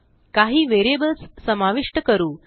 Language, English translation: Marathi, Now Let us add some variables